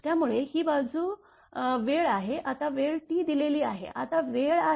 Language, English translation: Marathi, So, this side is time, it is time T it is given here, this is time